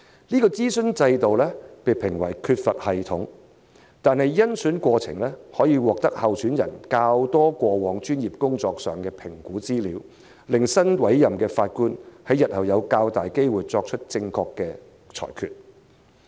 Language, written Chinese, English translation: Cantonese, 這諮詢制度被評為缺乏系統，但甄選過程可獲得較多有關候選人過往專業工作的評估資料，較能確保新委任的法官日後有較大機會作出正確的裁決。, Although this consultation system is criticized as unsystematic more information concerning the assessment of the candidates past professional experience can be collected during the screening process which can better ensure that the newly appointed judge will more likely make correct judgments in the future